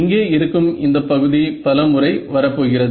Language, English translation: Tamil, Now, this character over here is going to appear many times